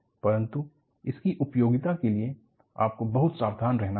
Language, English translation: Hindi, But its utility you have to be very careful